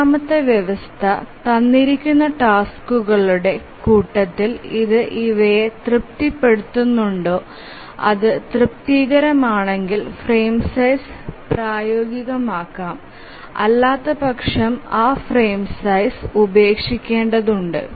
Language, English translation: Malayalam, So, the third condition we can write in this expression and we will see given a task set whether it satisfies this and then if it satisfies then we can take the frame size as feasible, otherwise we have to discard that frame size